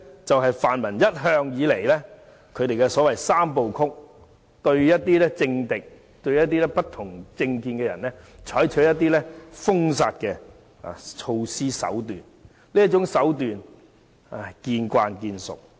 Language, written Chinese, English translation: Cantonese, 這是泛民一向的"三部曲"，對政敵、不同政見的人採取封殺手段，這種手段我們已經司空見慣。, This is the three - step mechanism adopted by the pan - democratic camp all the time to employ a banning tactic toward political enemies and people with different political views . We have seen the repeated occurrence of such tactic